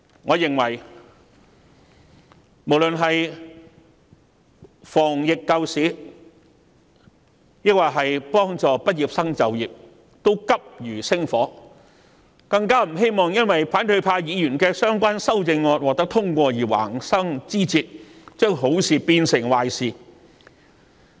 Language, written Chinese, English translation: Cantonese, 我認為無論是防疫、救市，抑或是協助畢業生就業，全部均急如星火，更不希望因為反對派議員的相關修正案獲得通過而橫生枝節，將好事變成壞事。, In my opinion whether it is epidemic prevention saving the economy or assisting graduates to secure employment all of these are extremely pressing issues . I do not wish to see any unexpected troubles crop up due to the passage of the relevant amendments proposed by Members of the opposition camp which will turn a good thing into a bad one